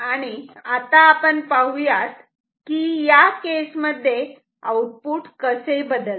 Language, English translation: Marathi, So, let us see how the output will change in this case